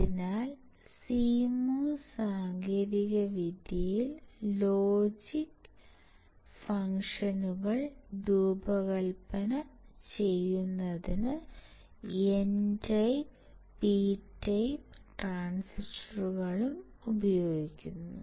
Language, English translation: Malayalam, So, in CMOS technology both N type and P type transistors are used to design logic functions